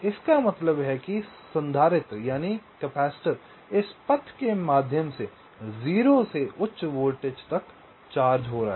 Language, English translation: Hindi, this means the capacitor is charging from zero to high voltage via this path